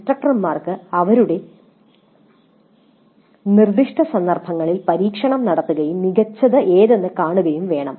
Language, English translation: Malayalam, So, the instructors have to experiment in their specific context and see what works best